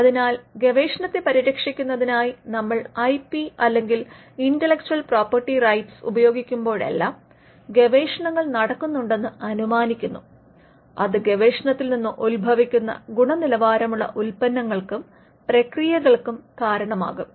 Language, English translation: Malayalam, So, when whenever we use IP or Intellectual Property Rights IPR as a short form for protecting research, we are assuming that there is research that is happening which can result in quality products and processes that emanate from the research